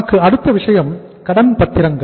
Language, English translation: Tamil, Then we have next thing is the debentures